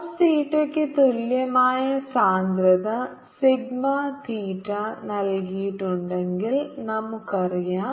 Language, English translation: Malayalam, we know if we have given a density sigma theta equal to cos theta